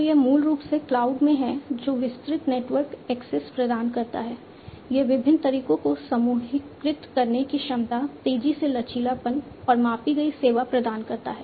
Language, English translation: Hindi, So, this is basically in a cloud offers wide network access, it offers the capability of grouping different methods, faster flexibility, and offering measured service